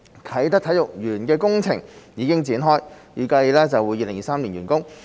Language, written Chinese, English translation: Cantonese, 啟德體育園的工程現已開展，預計於2023年完工。, The Kai Tak Sports Park project is now underway and expected to be completed by 2023